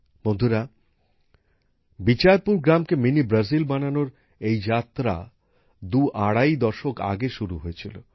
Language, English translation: Bengali, Friends, The journey of Bichharpur village to become Mini Brazil commenced twoandahalf decades ago